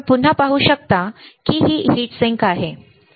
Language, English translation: Marathi, You can see again it is a heat sink, right